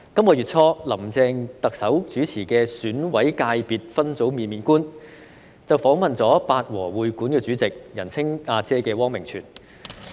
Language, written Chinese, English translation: Cantonese, 本月初，林鄭特首主持的《選委界別分組面面觀》，訪問了香港八和會館主席——人稱"阿姐"的汪明荃。, Early this month in the programme Get to Know the Election Committee Subsectors hosted by Chief Executive Carrie LAM the Chairman of the Chinese Artists Association of Hong Kong Liza WANG―who is commonly known as Ah Jie was interviewed